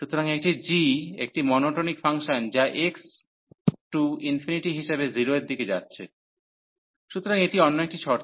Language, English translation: Bengali, So, this is a g is a monotonic function which is approaching to 0 as x approaching to infinity, so that is another condition